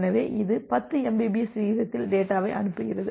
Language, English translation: Tamil, So, it sends the data at a rate of 10 mbps